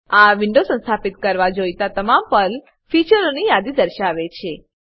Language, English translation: Gujarati, This window lists all the PERL features that get installed